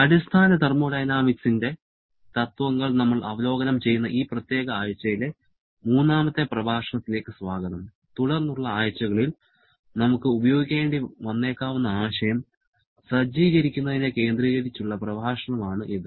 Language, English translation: Malayalam, Welcome back for the third lecture of this particular week where we are reviewing our principles of basic thermodynamics with the focus of setting up for the concept which we may have to use in the subsequent weeks